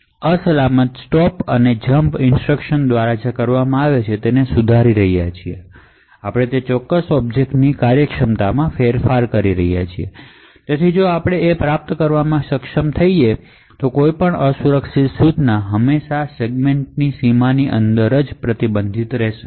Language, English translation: Gujarati, Now what we see over here is that we are enforcing that every unsafe store or jump is within this particular segment, so note that we are modifying what is done by this unsafe store and jump instruction we are modifying the functionality of that particular object, so however we are able to achieve that any unsafe instruction is always restricted by that segment boundary